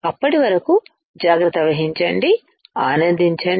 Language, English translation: Telugu, Till then take care, have fun